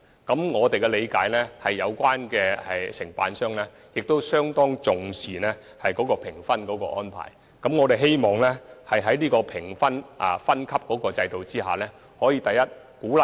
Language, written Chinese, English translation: Cantonese, 據我們了解，承辦商相當重視評分安排，我們希望在這個評分分級制度下能夠做到以下兩點。, As far as we understand it contractors care about our tender marking scheme . We hope this tier system can achieve the following two objectives